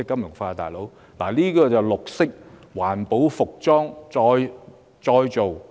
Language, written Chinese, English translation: Cantonese, 我提到的正是環保的服裝再造。, What I am talking about is recycling of garments